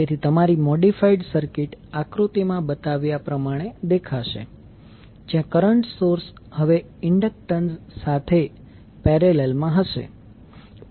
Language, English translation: Gujarati, So your modified circuit will look like as shown in the figure where the current source now will be in parallel with the inductance